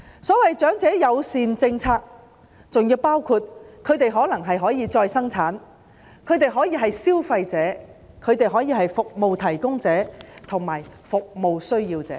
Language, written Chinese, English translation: Cantonese, 所謂長者友善政策，包括他們可以再生產，可以是消費者、服務提供者和服務需要者。, The so - called elderly - friendly policy encompasses many elements namely they can provide productivity again they can be consumers service providers and service recipients